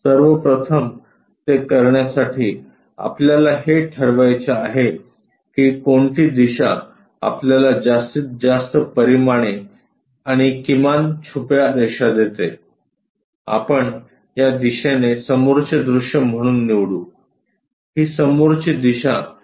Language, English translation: Marathi, First of all to do that, we have to decide which direction gives us maximum dimensions and minimal hidden lines; that we will pick it as front view in this direction, this is the front view direction